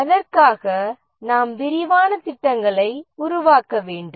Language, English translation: Tamil, We need to make elaborate plans for that